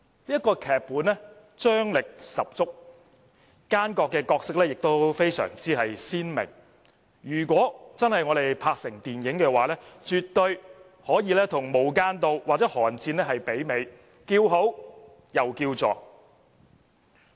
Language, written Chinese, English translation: Cantonese, 這部劇本張力十足，奸角的角色非常鮮明，如果真的拍攝成電影，絕對可以媲美"無間道"或"寒戰"，叫好又叫座。, The screenplay is marked by dramatic tension and nice characterization of villains . If it is really filmed it will certainly rival Infernal Affairs or Cold War winning acclaim and box office revenue